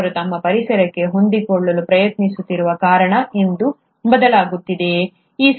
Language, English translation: Kannada, Is it because it is changing because they are trying to adapt to their environment